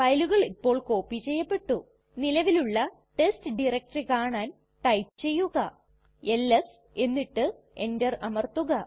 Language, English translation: Malayalam, The files have now been copied, to see that the test directory actually exist type ls and press enter